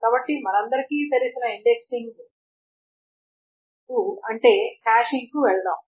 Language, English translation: Telugu, So let us go to the indexing that we all know about which is the hashing